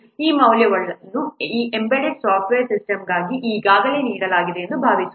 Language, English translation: Kannada, And suppose these values are all already given for this embedded software system